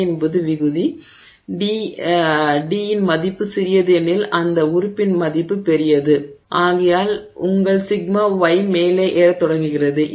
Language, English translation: Tamil, And since the d is in the numerator, sorry in the denominator, the smaller the value of d, larger is that value of that term and therefore your sigma y begins to climb up